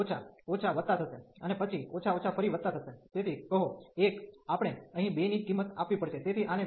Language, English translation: Gujarati, So, minus minus will be plus, and then minus minus will be plus again, so say 1 we have to value 2 here